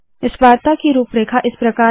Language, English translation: Hindi, The outline of this talk is as follows